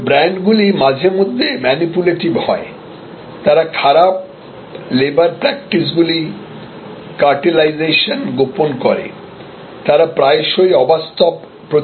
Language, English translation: Bengali, But, brands are sometimes manipulative they hide bad labour practices cartelization they often promise miracles